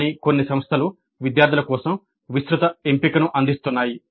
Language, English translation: Telugu, But some institutes do offer a wide choice for the students